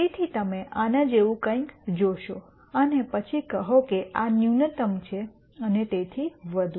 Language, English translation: Gujarati, So, you could see something like this and then say this is the minimum and so on